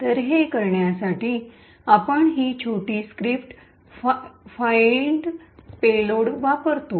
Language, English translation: Marathi, So, in order to do that we use this small script called find payload